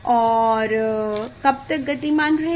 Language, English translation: Hindi, And how long it will move